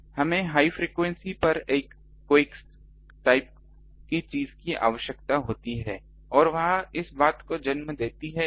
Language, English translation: Hindi, So, in high frequency we need to have a coax type of thing um and that gives rise to this